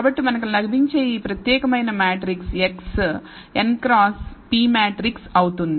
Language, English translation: Telugu, So, this particular matrix x that we get will be a n cross p matrix, n is the number of rows p is the number of columns